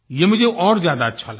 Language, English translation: Hindi, This I liked the most